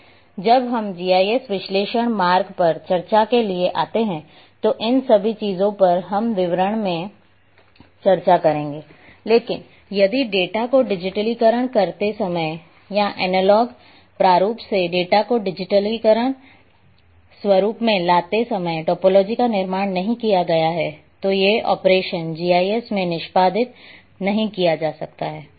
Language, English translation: Hindi, When we come to the discussion on GIS analysis part all these things we will be discussing in details, but if topology has not been constructed while digitizing the data or bringing data from analog format to digital format then these operations cannot be performed in GIS